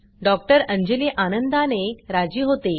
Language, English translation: Marathi, Dr Anjali happily agrees